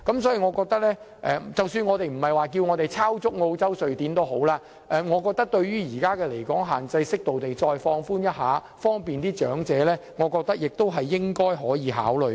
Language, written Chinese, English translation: Cantonese, 所以，即使不是抄襲澳洲、瑞典的做法，我覺得為了方便長者，適度地放寬一下現時的離港限制，亦是可以考慮的。, Therefore even if we are not replicating the practice of Australia and Sweden for the convenience of the elderly people we can also consider slightly relaxing the existing absence limit